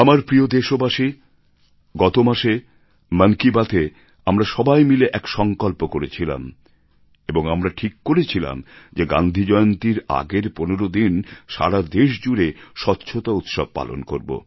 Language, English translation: Bengali, My dear countrymen, we had taken a resolve in last month's Mann Ki Baat and had decided to observe a 15day Cleanliness Festival before Gandhi Jayanti